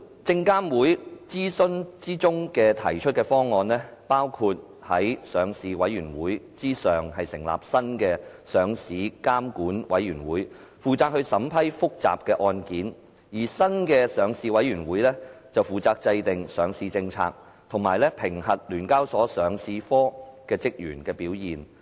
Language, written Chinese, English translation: Cantonese, 證監會諮詢時提出的方案，包括在上市委員會之上成立新的上市監管委員會，負責審批複雜的案件，而新的上市委員會則負責制訂上市政策，以及評核聯交所上市科職員的表現。, It is proposed in SFCs consultation that a new Listing Regulatory Committee LRC to be established next to the Listing Policy Committee LPC which will streamline the processes for making important or difficult listing decisions . The new LPC will formulate listing policies and will conduct performance appraisals of staff of the Listing Division of SEHK